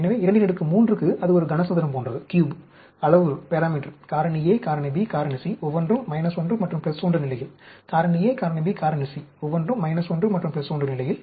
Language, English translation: Tamil, So, for a 2 power 3, it is like a cube; the parameter factor A, factor B, factor C, each one at minus 1 and plus 1 level; factor A, factor B, factor C, each one at minus 1 and plus 1 level